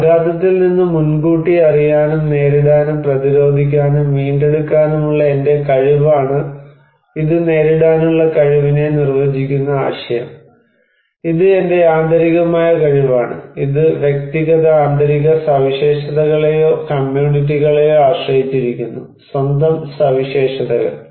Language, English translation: Malayalam, So, this is my capacity to anticipate, cope with, resist and recover from the impact of hazard is the defining idea of coping, and this is my internal, this depends on individual internal characteristics or communities own characteristics